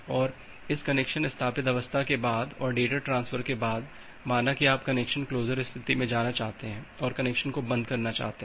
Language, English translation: Hindi, And after this connection established state, then after this data transfer is over say you want to move to the connection closure state you want to close that connection